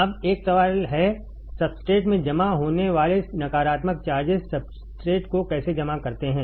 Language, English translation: Hindi, Now, there is a question, how negative charges accumulating in the substrate negative charges accumulating substrate